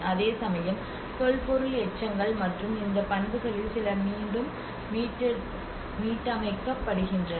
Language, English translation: Tamil, And whereas the archaeological remains you know and whereas some of these properties which are restored back